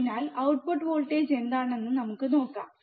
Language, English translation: Malayalam, So, what is output voltage let us see